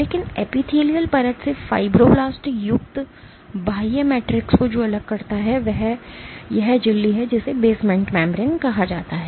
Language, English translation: Hindi, But what separates the extracellular matrix containing the fibroblasts from the epithelial layer is this membrane called basement membrane